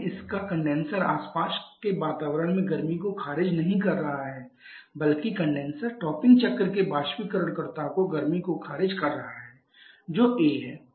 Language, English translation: Hindi, But its condenser is not rejecting heat to the surrounding rather the condenser is reacting heat to the evaporator of the topping cycle which is A